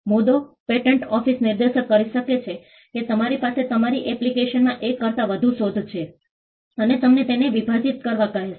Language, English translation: Gujarati, The point, the patent office may point out that you have, your application has more than one invention and ask you to divide it